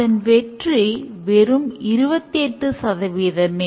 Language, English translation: Tamil, Just 28% is successful